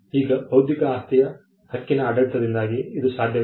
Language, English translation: Kannada, Now, this is possible because of the intellectual property right regime